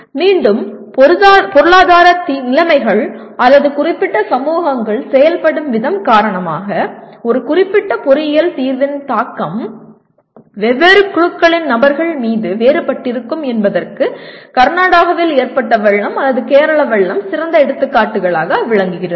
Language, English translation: Tamil, Once again, Kerala floods or floods in Karnataka do provide excellent examples where the impact of a particular engineering solution is different on different groups of persons because of economic conditions or particular societies the way they are operating